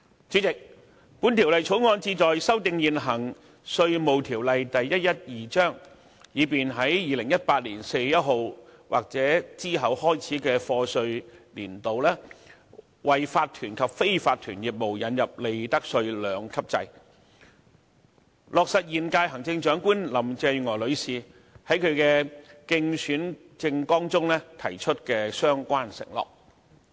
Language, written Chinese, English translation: Cantonese, 主席，《條例草案》旨在修訂現行《稅務條例》，以便在2018年4月1日開始的課稅年度，為法團及非法團業務引入利得稅兩級制，落實現屆行政長官林鄭月娥女士在其競選政綱中提出的相關承諾。, President the Bill aims at amending the present Inland Revenue Ordinance Cap . 112 by introducing a two - tiered profits tax rates regime for corporations and unincorporated businesses as promised by the Chief Executive in her Election Manifesto . It will take effect in the taxation year starting on 1 April 2018